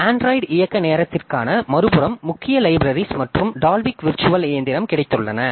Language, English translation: Tamil, On the other hand for Android runtime we have got code libraries and the Dulvick virtual machine